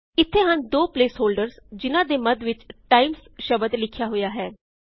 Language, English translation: Punjabi, It shows two place holders separated by the word Times